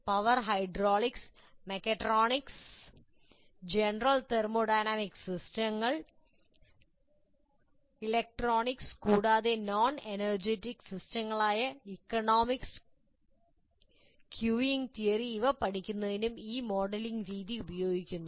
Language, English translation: Malayalam, This modeling technique is used in studying power hydraulics, mechatronics, general thermodynamic systems, electronics, non energy systems like economics and queuing theory as well